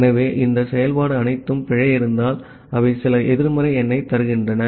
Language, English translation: Tamil, So, all this function if there is an error, they return some negative number